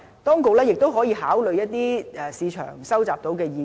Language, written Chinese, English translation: Cantonese, 當局亦可考慮一些在市場上收集到的意見。, The authorities may also take into consideration the views received from people in the market